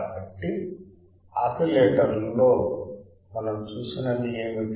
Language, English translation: Telugu, So, what we have seen in oscillators